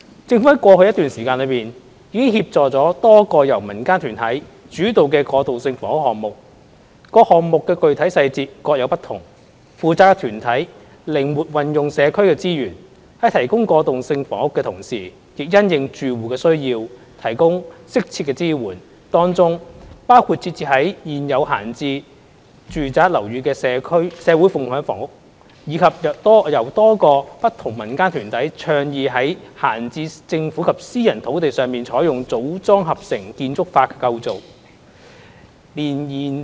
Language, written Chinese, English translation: Cantonese, 政府在過去的一段時間內，已協助了多個由民間團體主導的過渡性房屋項目，各項目的具體細節各有不同，負責團體靈活運用社區資源，在提供過渡性房屋的同時，亦因應住戶的需要，提供適切的支援，當中包括設置於現有閒置住宅樓宇的社會共享房屋，以及多個由不同民間團體倡議於閒置政府及私人土地上採用"組裝合成"建築法的構建。, The details of each project are different . The non - government organizations responsible for the projects have flexibly used community resources to provide transitional housing while meeting the needs of the residents and providing suitable support to them . Some such examples are social housing in existing vacant residential buildings as well as other projects initiated by different non - government organizations on vacant Government lands and private lands by using Modular Integrated Construction method